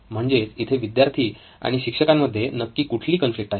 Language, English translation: Marathi, And what is the exact conflict between the children and the teacher